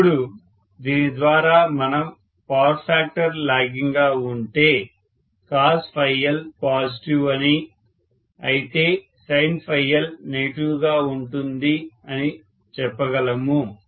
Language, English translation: Telugu, Now with this we should be able to say if the power factor is lagging cos phi L is positive, whereas sin phi L is going to be negative, right